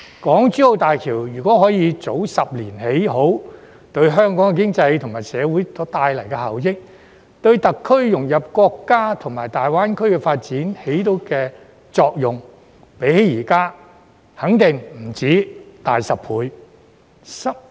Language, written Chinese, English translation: Cantonese, 港珠澳大橋如果可以早10年建成，對香港經濟及社會所帶來的效益，以及對特區融入國家及大灣區發展所起的作用，相較現在肯定不止大10倍。, If the Hong Kong - Zhuhai - Macao Bridge had been completed 10 years earlier the benefits brought to Hong Kongs economy and society as well as the integration of SAR into national development and the Greater Bay Area GBA development would have been over 10 times greater than at present